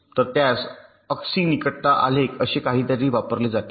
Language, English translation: Marathi, so it uses something called a x y adjacency graph